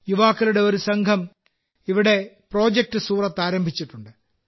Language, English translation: Malayalam, A team of youth has started 'Project Surat' there